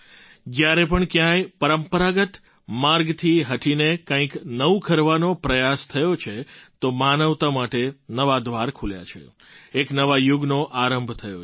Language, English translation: Gujarati, Whenever effort to do something new, different from the rut, has been made, new doors have opened for humankind, a new era has begun